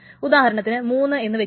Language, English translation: Malayalam, So suppose it's three